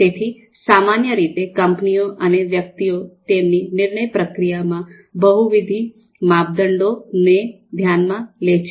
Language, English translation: Gujarati, So typically firms and individuals, they consider multiple criteria in their decision process